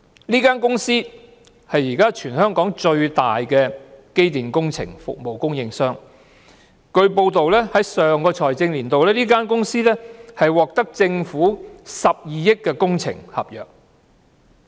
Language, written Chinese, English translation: Cantonese, 這間公司是現時全港最大的機電工程服務供應商，根據報道，在上個財政年度，這間公司獲政府批出12億元的工程合約。, This company is the largest electrical and mechanical engineering contractor in Hong Kong . According to some reports in the last financial year the company was awarded government contracts worth 1.2 billion